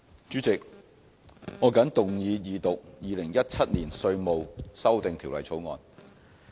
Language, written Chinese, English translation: Cantonese, 主席，我謹動議二讀《2017年稅務條例草案》。, President I move the Second Reading of the Inland Revenue Amendment No . 2 Bill 2017 the Bill